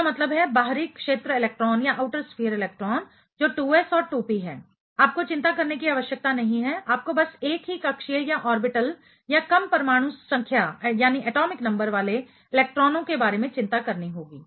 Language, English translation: Hindi, That means, the outer sphere electron that is 2s and 2p, you do not have to worry about; you just have to worry about the electrons in the same orbital or that of the lower atomic number ok